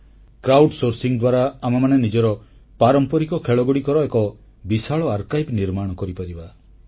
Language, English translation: Odia, Through crowd sourcing we can create a very large archive of our traditional games